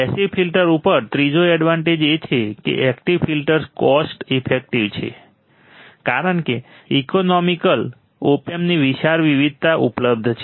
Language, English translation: Gujarati, Third advantage over passive filter is, active filters are cost effective as wide variety of economical Op Amp are available